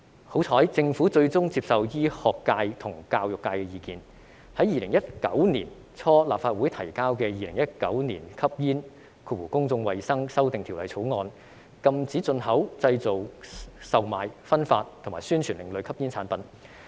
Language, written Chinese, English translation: Cantonese, 幸好，政府最終接受醫學界和教育界的意見，在2019年初向立法會提交的《2019年吸煙條例草案》，禁止進口、製造、售賣、分發和宣傳另類吸煙產品。, Fortunately the Government eventually accepted the views of the medical and education sectors and submitted the Smoking Amendment Bill 2019 to the Legislative Council in early 2019 to ban the import manufacture sale distribution and advertising of ASPs